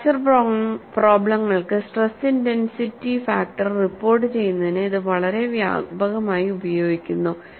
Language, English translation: Malayalam, This is very widely used for reporting stress intensity factor for fracture problems